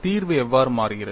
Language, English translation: Tamil, How does the solution change